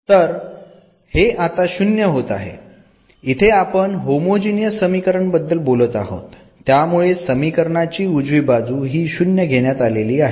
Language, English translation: Marathi, So, indeed this is 0 here, we are talking about the homogeneous equation, so the right hand side will be taken as 0